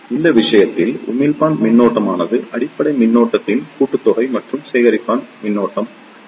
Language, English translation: Tamil, So, in this case, the emitter current is the summation of the base current and the collector current